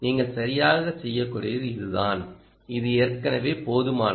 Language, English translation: Tamil, thats all that you can do, right, and this is already good enough